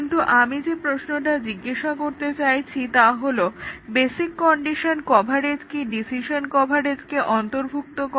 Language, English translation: Bengali, But, the question that I want to ask is that does basic condition coverage subsume decision coverage